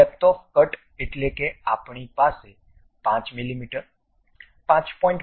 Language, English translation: Gujarati, The depth of the cut we can have something like 5 mm, 5